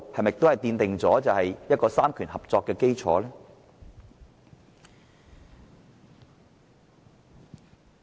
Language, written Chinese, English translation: Cantonese, 此舉是否奠定三權合作的基礎？, Is this a move to lay the foundation for the cooperation of the three powers?